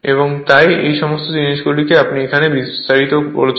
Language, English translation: Bengali, And therefore, all these things are your what you call detailable here